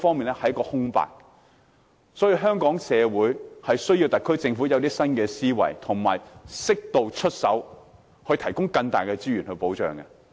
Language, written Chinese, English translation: Cantonese, 因此，香港社會需要特區政府有新思維，並適度出手，提供更大的資源和保障。, Hence the Hong Kong community wants the Government to adopt new thinking intervene properly and provide more resources and greater protection